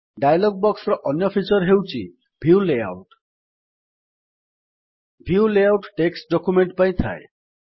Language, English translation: Odia, Another feature in the dialog box is the View layout The View layout option is for text documents